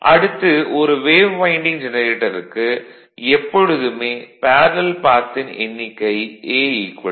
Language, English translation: Tamil, Now, for a wave winding actually number of parallel path is always 2, A is equal to 2